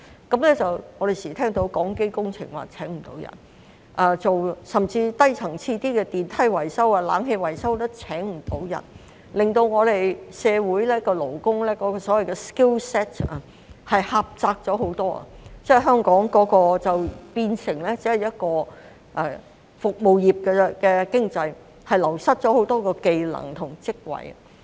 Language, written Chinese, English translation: Cantonese, 我們經常聽到港機工程聘請不到人手，甚至較低層次的電梯、冷氣維修也聘請不到人手，令到香港社會勞工的所謂 skill set 狹窄了很多，香港變成只是服務業的經濟，流失了很多技能及職位。, We often hear that HAECO is unable to recruit manpower which is unavailable even for such lower - level work as escalator and air - conditioning maintenance . The so - called skill set of the labour force in Hong Kong society has thus become much narrower . Hong Kong has been reduced to a service economy having lost many skills and jobs